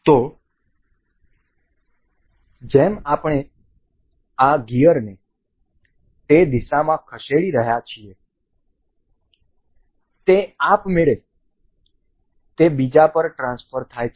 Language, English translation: Gujarati, So, as we are moving this gear in direction it is automatically transferred over to the other other one